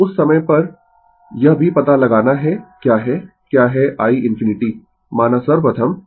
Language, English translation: Hindi, So, at that time also you have to find out what is my what is your i infinity say first